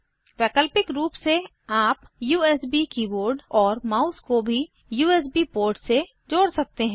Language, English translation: Hindi, Alternately, you can connect the USB keyboard and mouse to any of the USB ports